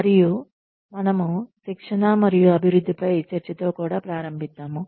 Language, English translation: Telugu, And, we will also start with, the discussion on training and development